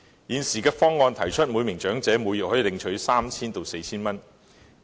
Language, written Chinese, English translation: Cantonese, 現時有建議，每名長者每月可領取 3,000 元至 4,000 元。, Under an existing proposal each elderly person receives a sum of 3,000 to 4,000 monthly